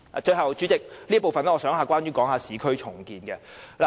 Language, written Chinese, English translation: Cantonese, 最後，代理主席，我想在這部分談談市區重建。, Last but not least Deputy President I would like to talk about urban renewal